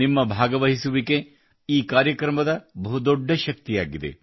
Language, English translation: Kannada, Your participation is the greatest strength of this program